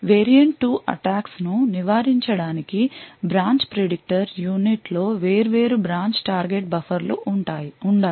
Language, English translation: Telugu, In order to prevent variant 2 attacks we need to have different branch target buffers present in the branch predictor unit